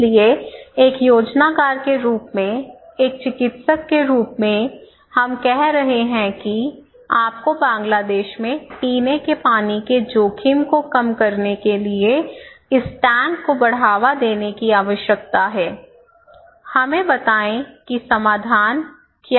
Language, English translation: Hindi, So, as a planner, as a practitioner, we are saying that okay, you need to promote this tank to stop drinking water risk to reduce drinking water risk in Bangladesh, tell us what is the solution